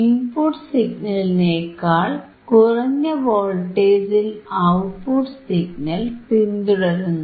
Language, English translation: Malayalam, oOutput signal follows the input signal with a voltage which is smaller than the input signal